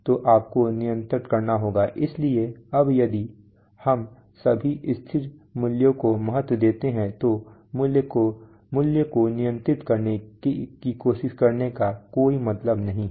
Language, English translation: Hindi, So you have to control, so now if we value that all constant values so there is not much point in trying to control the value